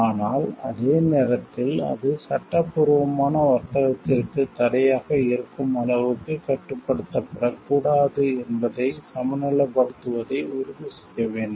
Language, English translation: Tamil, But also at the same time to ensure to balance that it should not be so much restricted that it becomes barriers to legitimate trade